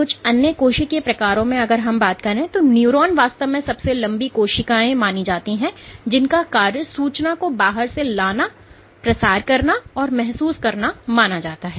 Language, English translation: Hindi, Among the other cell types neurons are the longest in length and of course, their job is to transmit or sense information from outside, ok